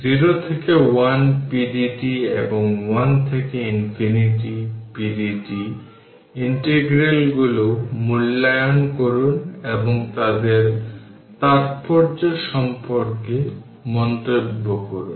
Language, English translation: Bengali, Evaluate the integrals 0 to 1 pdt and 1 to infinity pdt and comment on the ah on their significance so